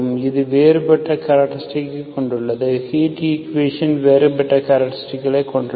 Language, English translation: Tamil, So it has a different characteristics, heat equation has a different characteristics